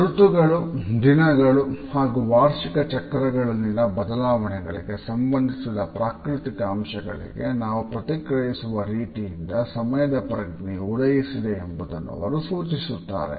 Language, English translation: Kannada, He suggests that our consciousness of time has emerged from the way we learn to respond to natural rhythms, which were associated with changes in the season, with changes during the days, annual cycles of different crops etcetera